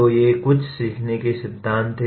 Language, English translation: Hindi, So these are some of the learning theories